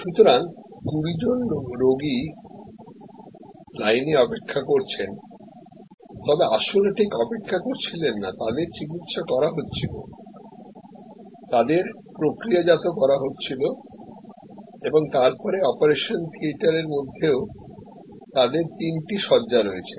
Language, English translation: Bengali, So, 20 patients are in the queue waiting, but not waiting ideally they are getting treated, they are getting processed and then, even within the operation theater they had 3 beds